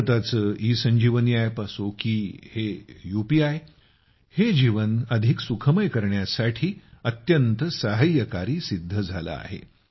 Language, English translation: Marathi, Be it India's ESanjeevaniApp or UPI, these have proved to be very helpful in raising the Ease of Living